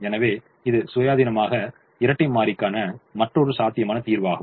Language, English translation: Tamil, so this is, independently, another feasible solution to the dual